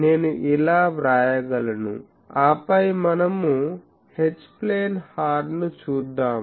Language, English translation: Telugu, I can write like this and then I will say that let us look at H plane horn, H plane horn